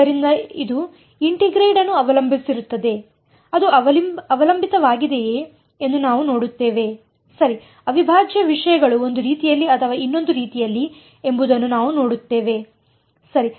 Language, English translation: Kannada, So, it depends on the integrand we will see whether it depends right, we will see whether the integral matters one way or the other right